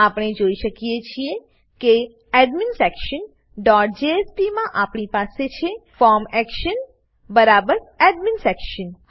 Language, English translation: Gujarati, We can see that in adminsection dot jsp we have the form action equal to AdminSection